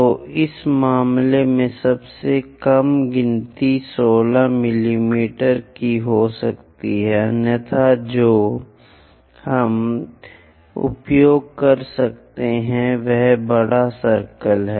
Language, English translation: Hindi, So, the least count what we can have is 16 mm in this case, otherwise what we can use is take bigger circle